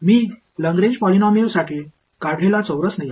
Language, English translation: Marathi, The quadrature rule which I had derived for Lagrange polynomials